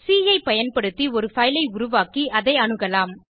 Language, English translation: Tamil, We can create a file and access it using C